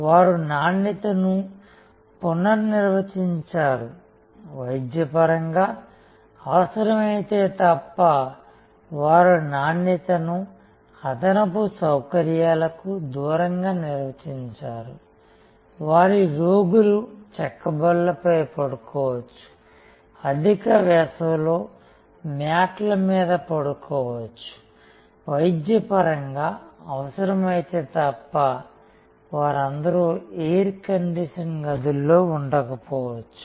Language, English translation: Telugu, They redefined quality, they defined quality away from the frills, may be their patients slept on wooden chaw pies, slept on mats in high summer, may be not all of them were in air condition rooms, unless it was medically required